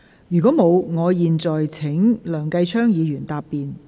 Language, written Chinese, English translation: Cantonese, 如果沒有，我現在請梁繼昌議員答辯。, If no I now call upon Mr Kenneth LEUNG to reply